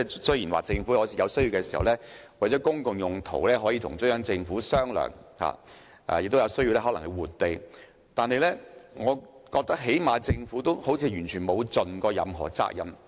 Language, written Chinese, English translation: Cantonese, 雖然政府有需要的時候可以與中央政府商量，亦有可能需要換地，但我覺得政府好像完全未盡責任。, Although the Government may negotiate with the Central Peoples Government when necessary and it may require land exchanges I think the Government has not fully discharged its responsibilities